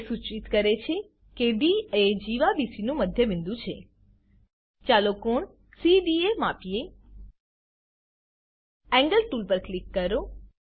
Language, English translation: Gujarati, It implies D is midpoint of chord BC Lets measure the angle CDA Click on Angle tool ..